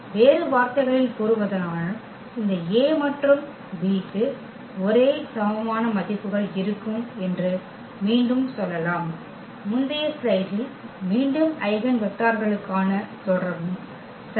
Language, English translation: Tamil, In other words, we can say again that this A and B will have the same eigenvalues and we have seen again in the previous slide here the relation for the eigenvectors as well ok